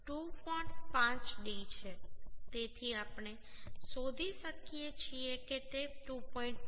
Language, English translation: Gujarati, 5d so we can find out it will be 2